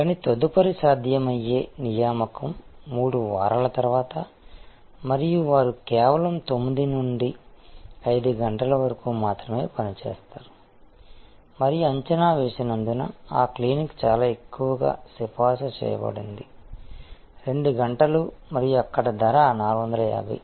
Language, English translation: Telugu, But, the next possible appointment is 3 weeks later and they operate only 9 to 5 pm and the estimated wait because that clinic is very highly recommended may be 2 hours and there price is 450